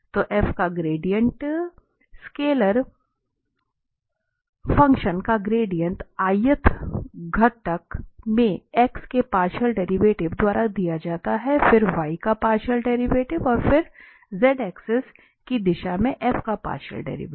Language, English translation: Hindi, So, gradient of f, gradient of a scalar function is given by partial derivative of x in the ith component, then partial derivative of y and then partial derivative of f in the direction of z axis